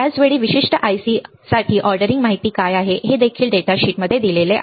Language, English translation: Marathi, At the same time what are the ordering information for that particular IC is also given in the data sheet